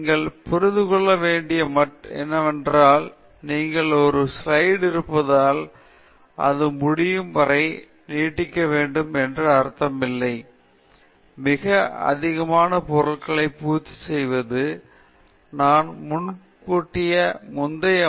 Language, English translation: Tamil, What you need to understand is just because you have a slide it does not mean you need to fill it from end to end; open space in the slide is particularity useful, it helps people focus on something that you are trying to show, it helps them understand that concept better